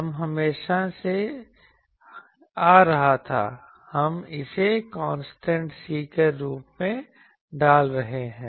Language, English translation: Hindi, This was always coming so, we are putting it as a constant C